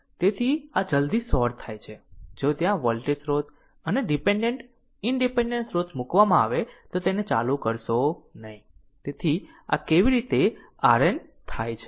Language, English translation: Gujarati, So, this as soon as you sort it, there will be no current through this if if you put a voltage source, and dependent, independent source you put it turn it off right, so this is your how we get R Norton